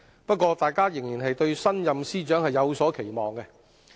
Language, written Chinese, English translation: Cantonese, 不過，大家仍然對新任司長有所期望。, However we still have expectation of the new Financial Secretary